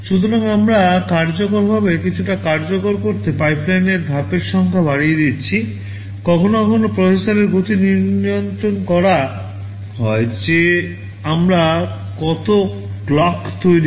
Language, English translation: Bengali, So, we are enhancing the number of stages in the pipeline to make the execution faster in some sense